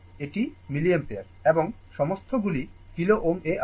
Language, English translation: Bengali, This is milliampere and all are kilo ohm